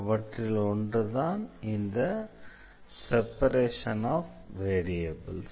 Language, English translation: Tamil, The first one is the separation of variables